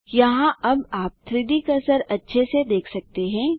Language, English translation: Hindi, There, you might be able to see the 3D cursor better now